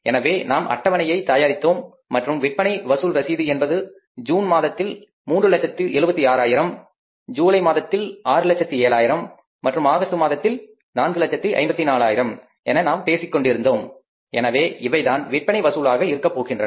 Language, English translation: Tamil, So we had misprepared a schedule and we learned about that the cash collection bill be ranging from 376,000s in the month of June to 6,000, 6,000, 7,000 in the month of July and then we talk about that 454,000 in the month of August